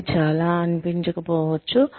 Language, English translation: Telugu, It may not seem so